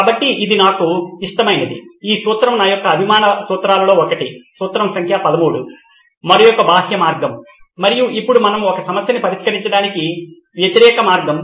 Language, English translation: Telugu, So this one is my favourite, one of my favourites of the principle principle number 13, the other way round and here we do the opposite to solve a problem